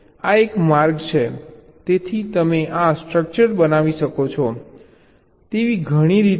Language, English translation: Gujarati, so there is so many ways you can create this structure